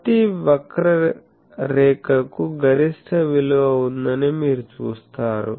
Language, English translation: Telugu, So, you see that every curve has a maximum thing